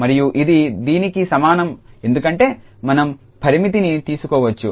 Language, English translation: Telugu, And this is equal to because this limit we can take